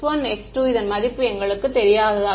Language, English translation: Tamil, We do not know the value of x 1 and x 2